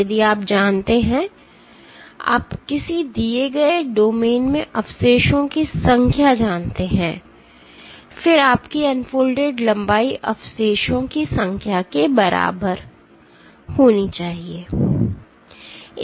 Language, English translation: Hindi, If you know, if you know the number of residues in a given domain; then your unfolded length should be equal to the number of residues into